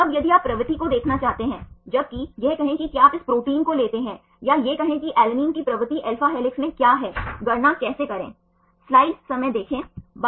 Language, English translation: Hindi, Now, if you want to see the propensity whereas, say if you take this protein or say what is the propensity of alanine to be in alpha helix, how to calculate